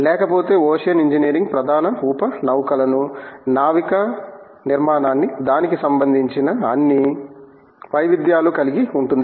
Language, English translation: Telugu, Otherwise, ocean engineering would cover the major sub set of ships, naval architecture in all its variance